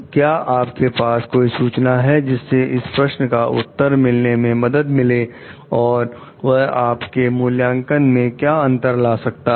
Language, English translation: Hindi, Is there any of the information you would like to have to help you answer these questions, and what is the difference would it is going to make in your assessment